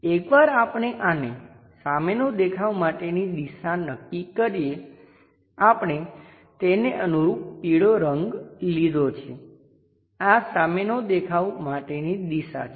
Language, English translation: Gujarati, Once we identify this one as the front view direction, let us pick the color also proportionately yellow one, this is the front view direction front view